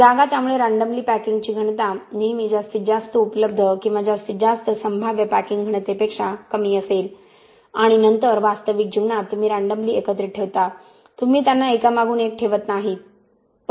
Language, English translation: Marathi, So the random packing density will always be lower than the maximum available or maximum possible packing density and then because in real life you put the aggregates randomly right, you donÕt place them one by one